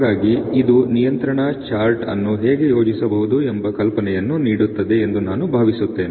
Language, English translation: Kannada, So I think this is sort of giving an idea of how the control chart can be plotted